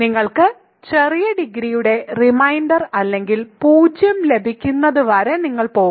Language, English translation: Malayalam, So, you will go until you have a reminder of small degree or you get 0